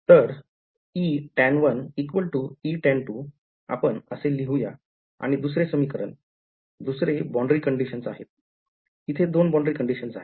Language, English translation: Marathi, So, E tan1 is equal to E tan 2 let us write it and the second equation, second boundary condition is these are the two boundary conditions